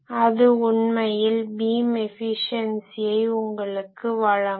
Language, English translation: Tamil, That will give you actually the beam efficiency